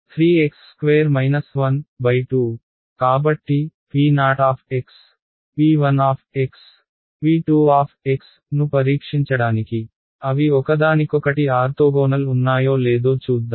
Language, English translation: Telugu, So, p 0 p 1 p 2 to just test our understanding let us see if they are orthogonal to each other right